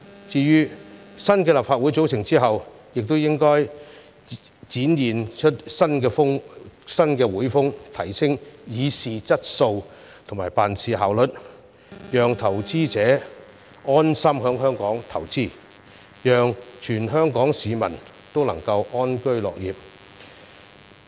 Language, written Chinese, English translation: Cantonese, 至於新的立法會組成之後也應該展現出新會風，提升議事質素及辦事效率，讓投資者安心在香港投資，讓全港市民都能夠安居樂業。, After its formation the new Legislative Council should also display a new style of work by enhancing the quality of public policy discussion and work efficiency so that investors will feel at ease in making investment in Hong Kong and all the citizens of Hong Kong can live a peaceful and contented life